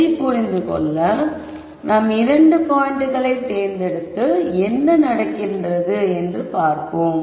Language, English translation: Tamil, To understand this let us pick two points and see what happens